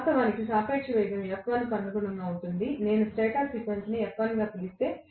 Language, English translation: Telugu, Originally the relative velocity was corresponding to F1, if I may call the stator frequency as F1